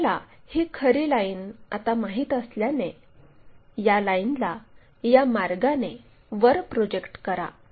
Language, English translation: Marathi, Because we already know this true line now, project all these lines up in that way we project these lines